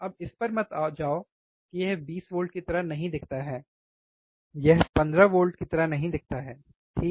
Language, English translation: Hindi, Now do not do not go with this that it does not look like 20 volts, it does not look like 15 volts, right